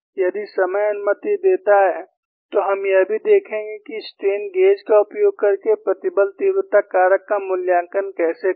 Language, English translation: Hindi, If time permits, you would also see how to evaluate stress intensity factor using strain gauges